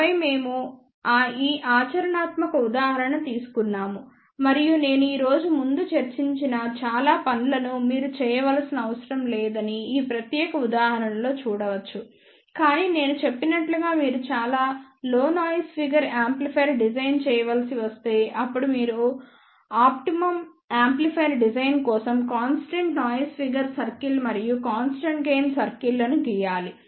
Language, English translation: Telugu, And then we took this practical example and you can see that in this particular example we do not have to do many of the things which I discussed earlier today, but as I mentioned if you have to design a much lower noise figure amplifier, then you have to draw all those constant noise figure circle and constant gain circles to design an optimum amplifier